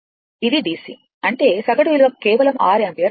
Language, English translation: Telugu, So, I dc will be 6 ampere